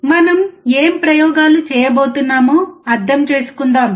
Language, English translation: Telugu, Let us understand what experiments we are going to perform